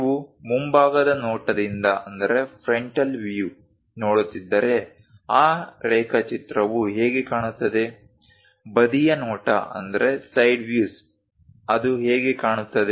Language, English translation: Kannada, So, if you are looking from frontal view, how that drawing really looks like, side views how it looks like